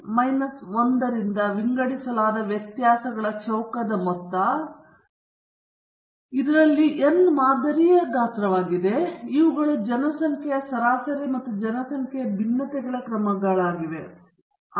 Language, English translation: Kannada, Sum of the square of the deviations divided by n minus one, where n is the sample size, and these are measures of the population mean and the population variance